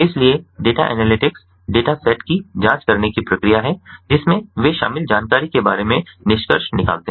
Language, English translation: Hindi, so data analytics is the process of examining the data sets in order to draw conclusions about the information they contain